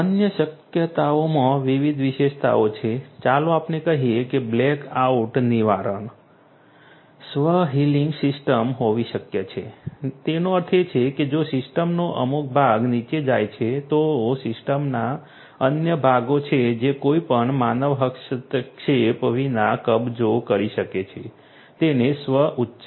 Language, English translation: Gujarati, Other possibilities are to have different features of let us say black out prevention, it is possible to have self healing system that means, that if some part of the system goes down there are other parts of the system that can take over without any human intervention so self healing